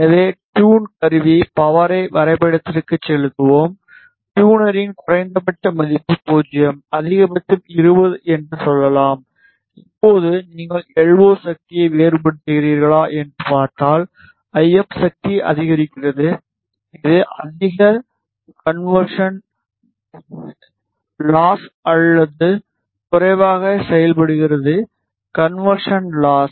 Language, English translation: Tamil, So, tune tool, tune the power go to the graph, enable the tuner minimum value is 0 maximum is let us say 20 and now if you see if you vary the LO power, the IF power increases which enables a higher conversion gain or lower conversion loss